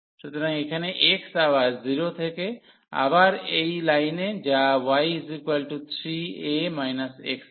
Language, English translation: Bengali, So, here x goes from 0 again and to this line which was y is equal to 3 a minus x